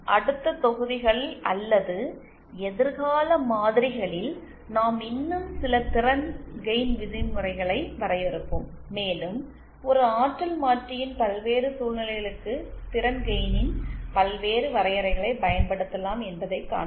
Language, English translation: Tamil, In the next modules or future models, we will be defining some more power gain terms and we will see that for various situations in a transducer, various definitions of power gain can be used